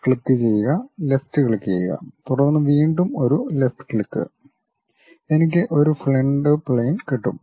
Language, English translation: Malayalam, Click, left click, then again one more left click gives me front plane